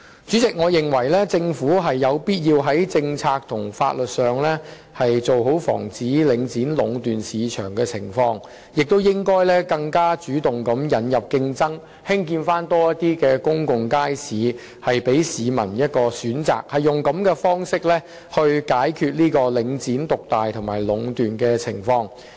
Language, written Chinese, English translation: Cantonese, 主席，我認為政府有必要在政策和法律上妥善防止領展壟斷市場，亦應該更主動地引入競爭，興建更多公眾街市，讓市民有所選擇，以這種方式解決領展獨大和壟斷的情況。, President in my opinion it is imperative for the Government to ensure proper safeguards against monopolization of the market by Link REIT through policies and legal means and it should be more proactive in introducing competition by constructing more pubic markets thereby giving more choices to members of the public . This is the approach that should be taken to address the market dominance and monopolization of Link REIT